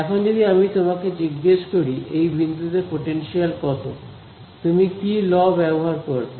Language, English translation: Bengali, Now, if I ask you what is the potential at this point over here, how what law would you use